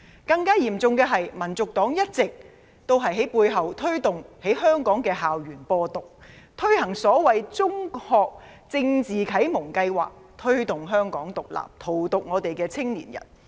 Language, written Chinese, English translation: Cantonese, 更嚴重的是，香港民族黨一直推動在香港校園"播獨"，推行所謂中學政治啟蒙計劃，推動"香港獨立"，荼毒香港青年。, Worse still HKNP has been publicizing independence and implementing the so - called Secondary School Political Enlightenment Scheme on school campuses in Hong Kong thus promoting Hong Kong independence and poisoning young people in Hong Kong